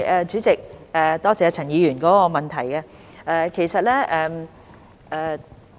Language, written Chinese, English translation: Cantonese, 主席，多謝陳議員的補充質詢。, President I would like to thank Mr CHAN for his supplementary question